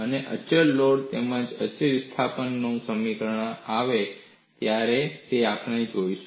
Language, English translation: Gujarati, And we would look at what is the result for a constant load as well as constant displacement